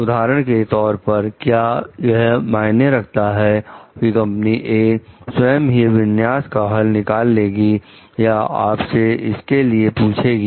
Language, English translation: Hindi, For example, does it matter whether company A volunteer did configuration solution to you or you ask for it